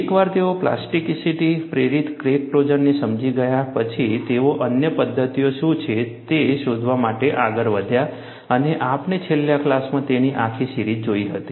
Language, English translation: Gujarati, Once they understood plasticity induced crack closure, they moved on, to find out what are the other mechanisms and we saw the whole range of it in the last class